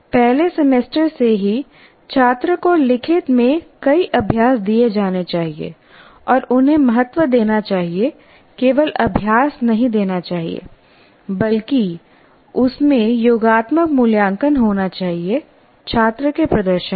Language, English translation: Hindi, And right from the first semester, the student should be given several exercises in writing and value them, just not giving the exercises, but there should be, there should be a summative assessment of the performance of the student in that